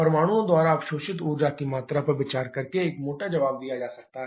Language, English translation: Hindi, A rough answer can be given by considering the amount of energy absorbed by the atoms